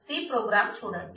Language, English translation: Telugu, So, here is a C program